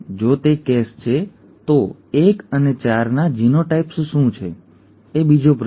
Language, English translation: Gujarati, If that is a case, what are the genotypes of 1 and 4; that is the second question